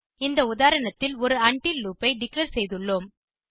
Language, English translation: Tamil, I have declared an each loop in this example